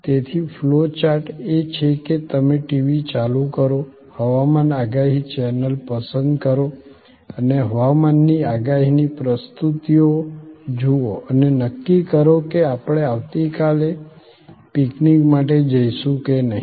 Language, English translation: Gujarati, So, the flow chart is you turn on the TV, select of weather forecast channel and view the presentations of weather forecast and decide whether we will go and for the picnic tomorrow or not